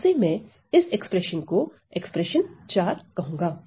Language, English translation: Hindi, So, I am going to call this expression as expression IV